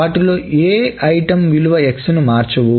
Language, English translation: Telugu, None of them changes the value of the item